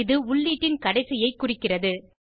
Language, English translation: Tamil, It denotes the end of input